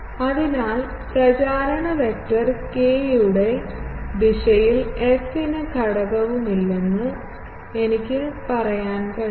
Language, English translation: Malayalam, So, I can say that f does not have any component in the direction of propagation vector k